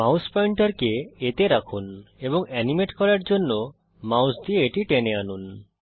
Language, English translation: Bengali, I will choose A Place the mouse pointer on A and drag it with the mouse to animate